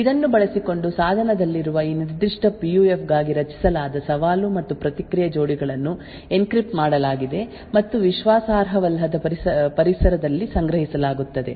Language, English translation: Kannada, Using this, the challenge and response pairs which is generated for this particular PUF present in the device is encrypted and stored in an un trusted environment